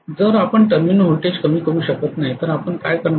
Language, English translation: Marathi, If you cannot decrease the terminal voltage what are you going to do